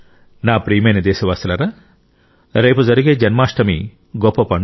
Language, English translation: Telugu, tomorrow also happens to be the grand festival of Janmashtmi